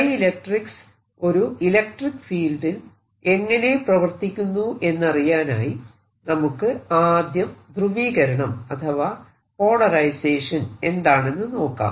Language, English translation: Malayalam, to understand how dielectrics behave, we'll first talk about a polarization